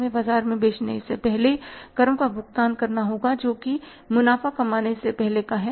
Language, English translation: Hindi, We have to pay the taxes at the before selling in the market that is before earning the profits